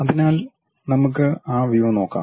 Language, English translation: Malayalam, So, let us look at that view